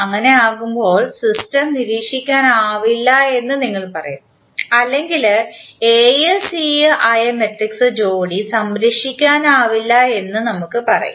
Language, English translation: Malayalam, In that case, we will say that the system is not observable or we can say that the matrix pair that is A, C is unobservable